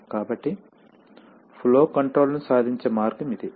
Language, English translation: Telugu, So that is the way we achieve flow control